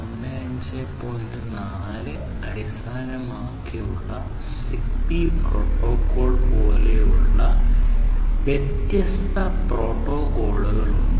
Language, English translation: Malayalam, Now, there are different protocols like the ZigBee protocol which is used which is primarily based on 802